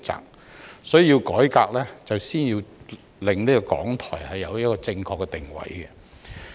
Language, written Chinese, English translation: Cantonese, 因此，要作出改革須先令港台確立正確的定位。, Therefore a correct positioning must first be established for RTHK before a reform can be launched